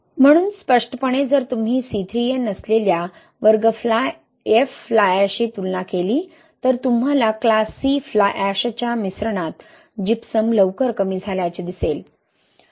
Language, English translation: Marathi, So obviously if you compare with the class F fly ash which does not have C3A, you will see early depletion of Gypsum in the mix with class C fly ash